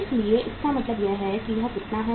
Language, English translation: Hindi, So it means how much it is going to be